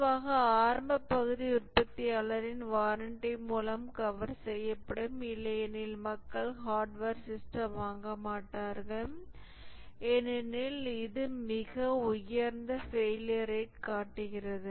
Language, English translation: Tamil, Typically the initial part is covered by the manufacturer's warranty, otherwise people will not buy the hardware system because it is showing a very high failure rate